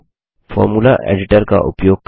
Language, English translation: Hindi, Now notice the Formula editor window